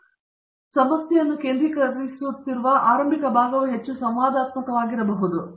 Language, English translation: Kannada, So, the initial part where you are still focusing down the problem may be lot more interactive